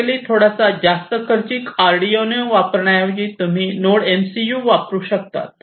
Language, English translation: Marathi, So, basically instead of using Arduino which is a little bit more expensive you could use the Node MCU